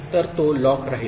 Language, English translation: Marathi, So, it will remain locked